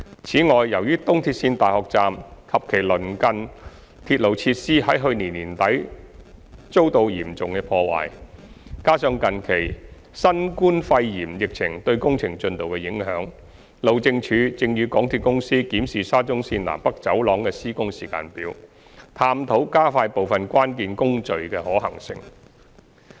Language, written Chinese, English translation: Cantonese, 此外，由於東鐵綫大學站及其鄰近鐵路設施在去年年底遭到嚴重破壞，加上近期新冠肺炎疫情對工程進度的影響，路政署正與港鐵公司檢視沙中綫"南北走廊"的施工時間表，探討加快部分關鍵工序的可行性。, In addition due to serious damages to the facilities at the University Station of EAL and adjacent railway section at the end of last year and the impact of the recent novel coronavirus outbreak on the works progress the Highways Department HyD and MTRCL are reviewing the construction schedule of the North South Corridor and exploring the feasibility of accelerating key activities